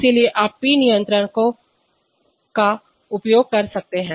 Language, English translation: Hindi, So therefore, you can use P controllers